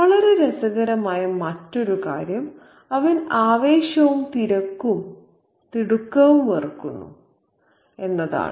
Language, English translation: Malayalam, And the other very interesting thing is that he hates excitement, bustle and hurry